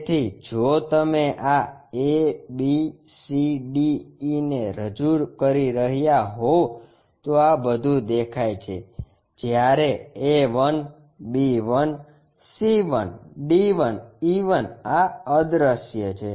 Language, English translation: Gujarati, So, if you are representing a b c d e are visible whereas, this A 1, B 1, C 1, D 1, E 1 these are invisible